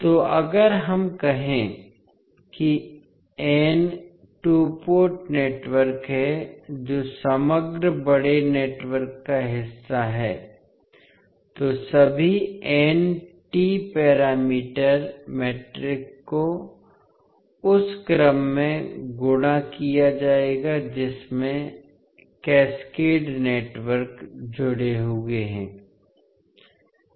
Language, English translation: Hindi, So, if we say there are n two port networks which are part of the overall bigger network, all n T parameter matrices would be multiplied in that particular order in which the cascaded networks are connected